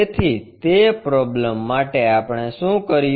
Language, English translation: Gujarati, So, for that problem what we have done